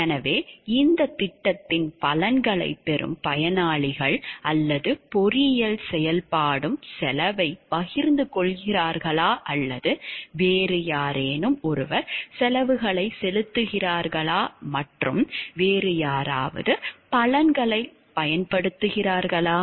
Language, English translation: Tamil, So, are the beneficiaries who reap the benefits of this project or the engineering activity are the cost shared by them are they paying for the cost also or somebody different is paying for the cost and somebody different is utilizing the benefits